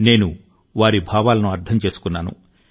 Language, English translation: Telugu, I understand his sentiments